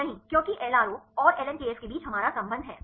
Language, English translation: Hindi, No because we have the relationship between LRO and the ln kf